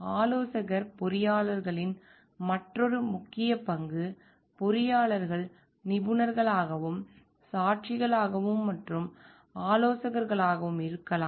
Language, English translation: Tamil, Another important role of consultant engineers could be engineers as expert, witnesses and advisers